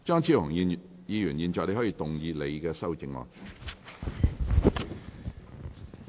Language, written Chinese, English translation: Cantonese, 張超雄議員，你現在可以動議你的修正案。, Dr Fernando CHEUNG you may now move your amendment